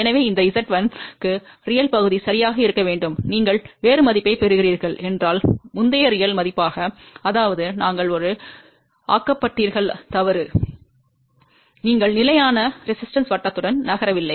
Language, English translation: Tamil, So, for this Z 1, the real part has to be exactly same as the previous real value if you are getting a different value; that means, you are made a mistake, you have not move along the constant resistance circle